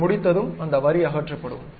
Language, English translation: Tamil, Once you are done, that line will be removed